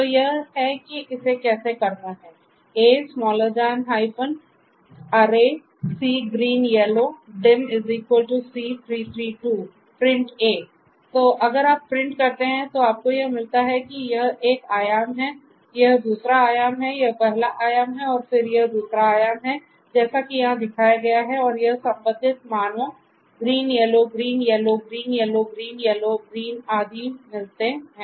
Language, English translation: Hindi, So, if you print that then you get this is this one dimension, this is the second dimension, so this is this first dimension and then this is the second dimension as shown over here and this corresponding values green, yellow, green, yellow, green, yellow, green, yellow, green and so on